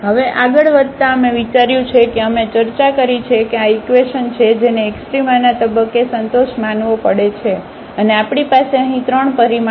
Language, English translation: Gujarati, Now, moving further so, we have considered we have discussed that these are the equations which has to be satisfied at the point of a extrema and we have here 3 parameters